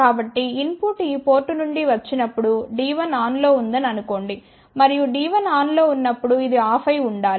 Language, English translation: Telugu, So, let us say now when input is coming from this port here, and assuming that D 1 is on and when D 1 is on this should be off ok